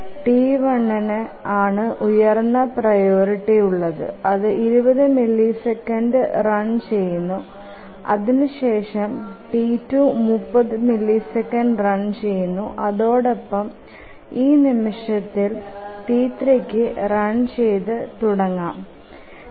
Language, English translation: Malayalam, T1 is the highest priority that runs for 20 and then T2 runs for 30 and at this point T3 can start to run